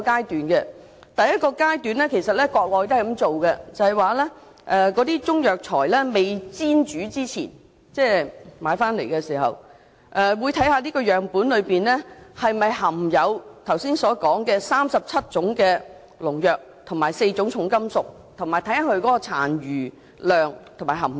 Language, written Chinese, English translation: Cantonese, 在第一個階段——國內也採用這做法——也就是在中藥材買回來未煎煮之前，政府會檢測樣本是否含有該37種農藥及4種重金屬，以及其殘留量及含量。, At the first stage―the Mainland also adopts this method―the Government conduct tests on the Chinese herbal medicines in their raw state before cooking to ascertain the presence of those 37 pesticides and four heavy metals in the samples as well as the amount of residues or contents found in them